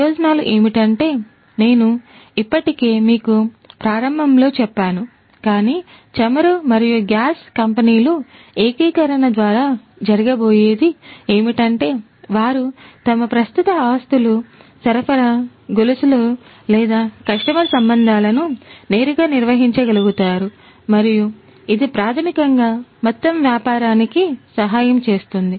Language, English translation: Telugu, The benefits is something that, I have already told you at the outset, but what is going to happen is through the integration the oil and gas companies would be able to directly manage their existing assets, supply chains or customer relationships and that basically will help the business overall